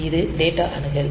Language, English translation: Tamil, So, this is data access